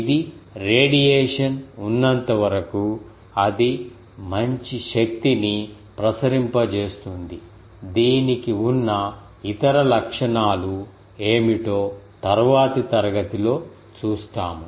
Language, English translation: Telugu, As far as it is radiation it can radiate good amount of power, we will see what is it is other properties in the next class